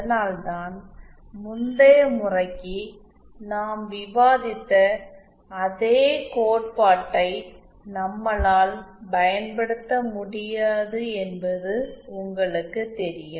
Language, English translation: Tamil, That’s why you know it is not we cannot apply those same theory that we discussed for the previous case